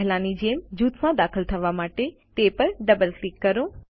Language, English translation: Gujarati, As before, double click on it to enter the group